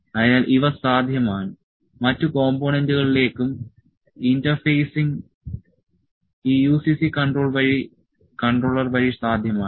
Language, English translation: Malayalam, So, these things are possible, interfacing to the other components is also possible through this UCC controller